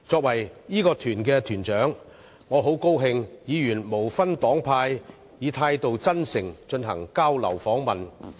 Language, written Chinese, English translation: Cantonese, 我是該團團長，很高興看到議員無分黨派，以真誠的態度進行交流訪問。, I was the leader of the delegation and was glad to see Members participate in the visit and exchanges sincerely regardless of their political affiliations